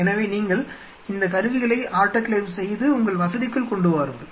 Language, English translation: Tamil, So, you get these instruments autoclaved and bring it inside your facility like